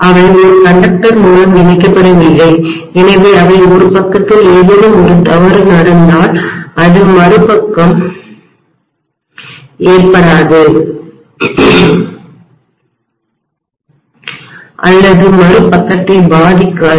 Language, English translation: Tamil, They are not connected through a conductor, so if there is something going wrong on one side it will not or it may not affect the other side